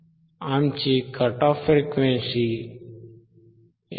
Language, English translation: Marathi, So, still the cut off frequency is 159